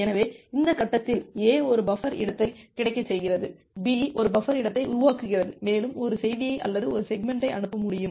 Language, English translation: Tamil, So, at this stage, A makes one buffer space available, B makes 1 buffer space available to A saying that it can send one more message, one more segment